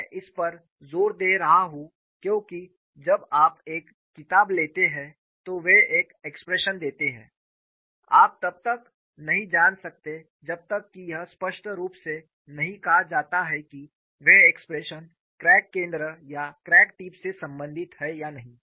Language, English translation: Hindi, This I would be emphasizing it, because when you take up a book, they give an expression, you may not know unless it is very clearly said, whether those expressions are related to crack center or crack tip